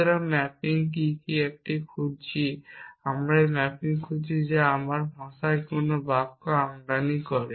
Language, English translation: Bengali, So, what are what is the mapping a looking for we are looking for a mapping which takes an import any sentence in my language